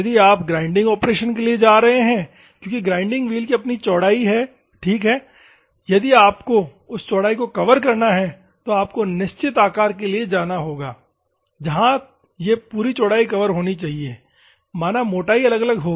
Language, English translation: Hindi, If you are going for a grinding operation because the grinding wheel has it is own width ok; if that width you have to cover, then you have to go for certain shape where it should occupy complete width the thickness will vary